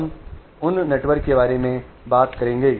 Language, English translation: Hindi, We will talk about those networks